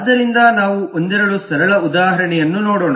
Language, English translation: Kannada, a couple of simple examples